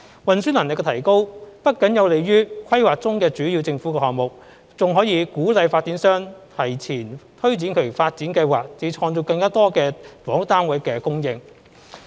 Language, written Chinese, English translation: Cantonese, 運輸能力的提高不僅有利於規劃中的主要政府項目，還能鼓勵發展商提前推展其發展計劃，以及造就更多房屋單位的供應。, Not only will the enhancement of transport capability benefit key government projects under planning it can also encourage developers to advance their developments and bring about a larger housing yield